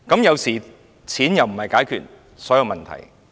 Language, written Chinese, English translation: Cantonese, 有時候，錢無法解決所有問題。, Sometimes money cannot resolve all problems